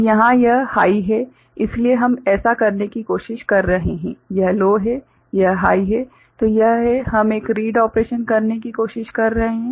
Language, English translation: Hindi, So, here this is high means we are trying to so, this is low, this is high; so this is we are trying to do a read operation